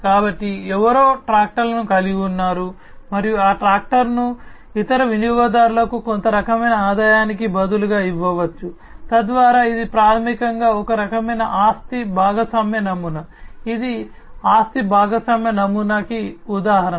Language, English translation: Telugu, So, somebody owns the tractor and that tractor can be given in exchange of some kind of revenue to the other customers, so that this is basically a kind of asset sharing model, this is an example of an asset sharing model